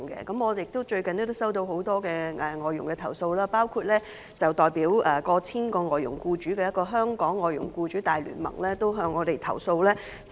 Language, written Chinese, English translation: Cantonese, 我最近收到很多有關外傭的投訴，包括來自一個代表逾千名外傭僱主的香港外傭僱主大聯盟的投訴。, Recently I have received a lot of complaints concerning FDHs including the complaint filed by the Alliance of the Hong Kong Employers of Foreign Domestic Helpers